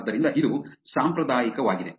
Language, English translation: Kannada, So, that is traditional